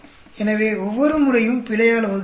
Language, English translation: Tamil, So, every time we divided by the error